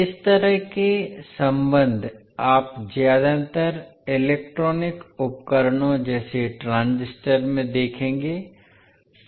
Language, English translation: Hindi, So, these kind of relationships you will see mostly in the electronic devices such as transistors